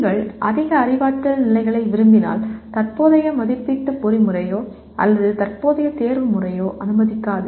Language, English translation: Tamil, If you want higher cognitive levels, the present assessment mechanism or the present examination system does not allow